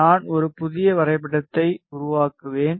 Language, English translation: Tamil, I will create a new graph